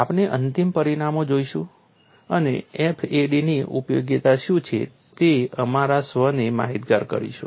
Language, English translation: Gujarati, We will look at final results and apprise our self what is the utility of FAD